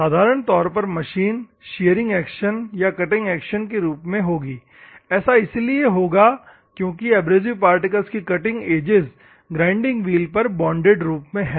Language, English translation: Hindi, Normally, the machining will be done in terms of shearing action or cutting action, so that the small cutting edges of the abrasive particles, which are there on a grinding wheel in a bonded form